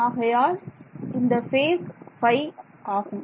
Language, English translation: Tamil, So, this is the phase phi